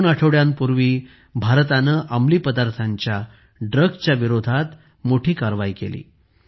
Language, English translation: Marathi, Two weeks ago, India has taken a huge action against drugs